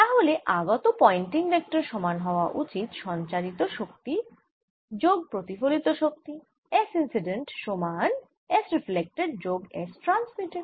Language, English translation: Bengali, i should have the pointing vector is coming in incident should be equal to the energy which is transmitted plus the energy which is reflected, s reflected plus s transmitted